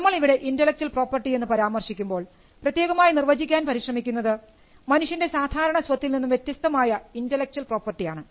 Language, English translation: Malayalam, Now when we mention intellectual property, we are specifically trying to define intellectual property as that is distinct from real property